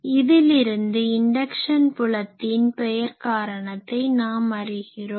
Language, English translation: Tamil, So, now, we can say that why inductive fields are called inductive fields